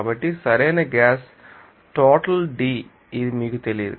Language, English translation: Telugu, So, right gas amount is D it is not known to you